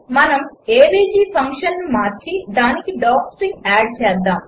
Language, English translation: Telugu, Let us modify the function avg and add docstring to it